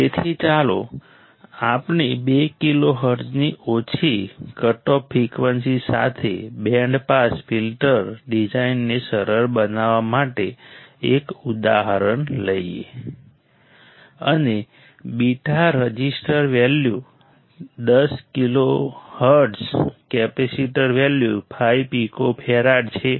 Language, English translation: Gujarati, So, let us take an example to make it easier design a band pass filter with a lower cutoff frequency of two kilo hertz, and beta resistor value of 10 kilo high cutoff frequency of 10 kilo hertz capacitor value of 5 Pico farad